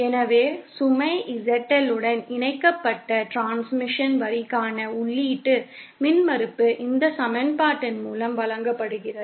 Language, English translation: Tamil, So, the input impedance for transmission line with load ZL connected is given by this equation